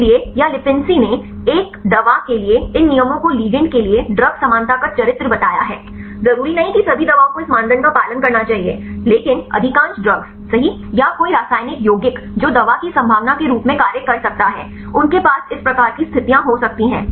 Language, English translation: Hindi, So, here Lipinsi stated these rules for a drug for a ligand to be kind of character of drug likeness right not necessarily all the drugs should have should follow this criteria, but most of the drugs right or any chemical compound which may act as a drug likeliness, they may have this type of conditions